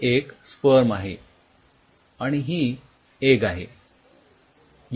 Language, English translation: Marathi, so you have, this is sperm